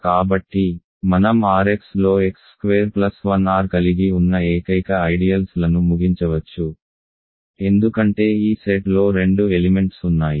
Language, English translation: Telugu, So, we can conclude the only ideals in R x that contain x square plus 1 R there are only two ideals because this set has two elements